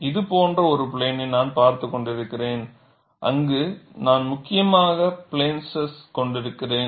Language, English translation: Tamil, I am looking at a plane like this, where I have essentially plane stress